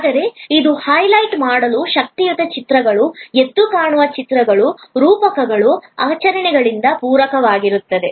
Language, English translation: Kannada, But, it will be supplemented by powerful images, vivid images, metaphors, rituals to highlight